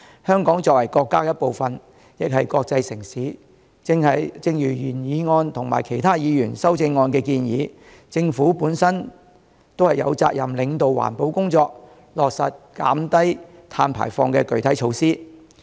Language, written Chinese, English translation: Cantonese, 香港作為國家的一部分亦是國際城市，正如原議案及其他議員的修正案的建議，政府有責任領導環保工作，落實減低碳排放的具體措施。, As Hong Kong is part of our country and also an international city the Government is as proposed in the original motion and other Members amendments duty - bound to lead the environmental protection work and implement specific measures to reduce carbon emissions